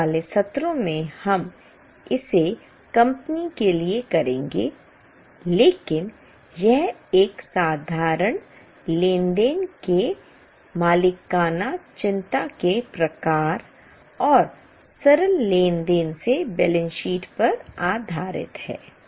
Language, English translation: Hindi, In coming sessions we will do it for company but this is based on a proprietary concern type of a simple transaction and the balance sheets from the simple transactions